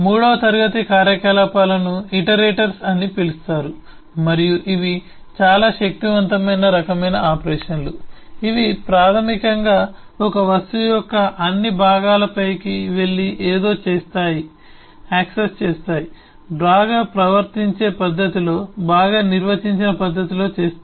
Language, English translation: Telugu, a third class of operations are called iterators and these are very powerful eh type of operations which are basically goes over all parts of an object and does something, accesses, performs something in a well behaved manner, in a well defined manner